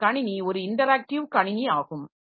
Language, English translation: Tamil, So, the system is an interactive system